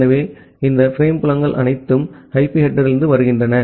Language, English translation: Tamil, So, all these frame fields are coming from the IP header